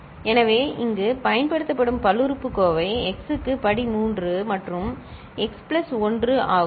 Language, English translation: Tamil, So, the polynomial here used is x to the power 3 plus x plus 1, right